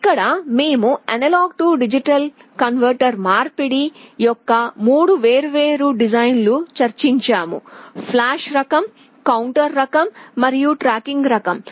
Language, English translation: Telugu, Here we have discussed three different designs of A/D conversion: flash type, counter type and tracking type